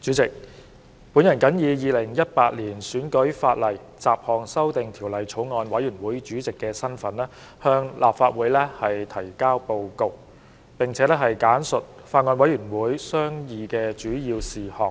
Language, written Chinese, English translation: Cantonese, 主席，我謹以《2018年選舉法例條例草案》委員會主席的身份，向立法會提交報告，並簡述法案委員會商議的主要事項。, President in my capacity as Chairman of the Bills Committee on Electoral Legislation Bill 2018 I present the Bills Committees Report to the Council and highlight the major issues deliberated by the Bills Committee